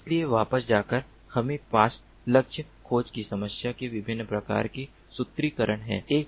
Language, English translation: Hindi, so, going back, ah, we have different types of formulations of the problem of target tracking